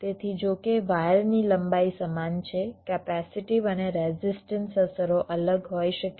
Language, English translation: Gujarati, so so, although the wire lengths are the same, the capacity and resistive effects may be different